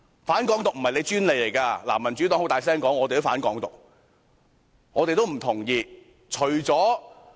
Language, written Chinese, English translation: Cantonese, "反港獨"不是你們的專利，民主黨也理直氣壯地"反港獨"，也不同意"港獨"。, You do not have the exclusive right to use the excuse of anti - independence because the Democratic Party has also justly made clear its position of objecting to Hong Kong independence